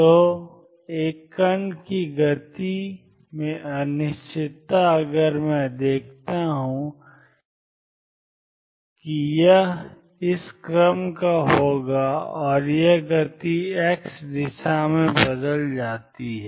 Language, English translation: Hindi, So, the uncertainty in the momentum of a particle if I observe it is going to be of this order and this momentum changes in the direction x